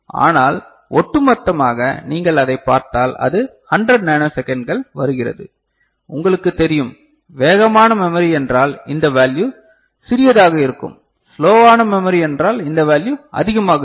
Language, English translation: Tamil, But altogether if you just look at it then it comes around that 100 nanosecond and you know, faster memory means smaller this value; slower memory means larger this value is larger